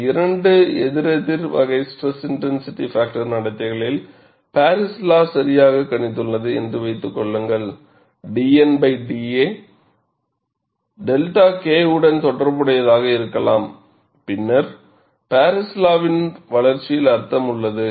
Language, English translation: Tamil, Suppose, Paris law correctly predicts, in these two opposing type of SIF behavior, that d a by d N could be related to delta K, then there is substance in the development of Paris law